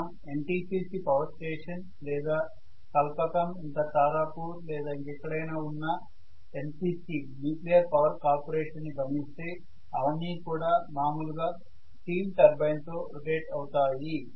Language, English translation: Telugu, So if you talk about NTPC power station or NPC nuclear power cooperation power station in Kalpakkam, Tarapur or whatever there, you are going to see that generally they are all rotated by steam turbines